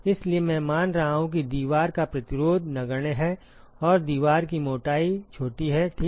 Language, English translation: Hindi, So, I am assuming that wall resistance is negligible and the wall thickness is small ok